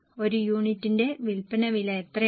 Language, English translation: Malayalam, How much is the sale price per unit